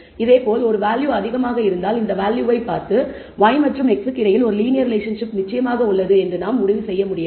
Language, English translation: Tamil, Similarly if a value is high looking at just the value we cannot conclude that there definitely exists a linear relationship between y and x, you can only say there exists a relationship between y and x